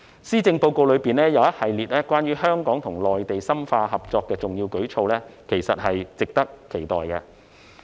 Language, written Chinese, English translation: Cantonese, 施政報告中一系列關於香港與內地深化合作的重要舉措，其實是值得期待的。, The Policy Address contains a series of important initiatives in relation to the deepening of Hong Kong - Mainland cooperation which are worth looking forward to